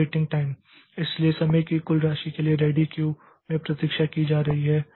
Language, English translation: Hindi, Then waiting time so total time a process has been waiting in the ready queue